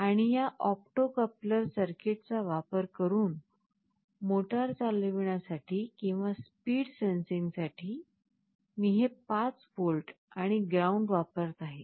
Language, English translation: Marathi, And for driving this motor or speed sensing using this opto coupler circuit, I am using this 5 volts and ground that are required